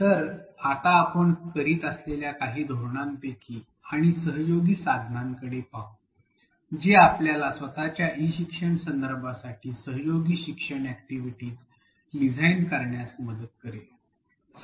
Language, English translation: Marathi, So, what will do now is to look at a few strategies and collaborative tools that are that will help us design collaborative learning activities for our own e learning contexts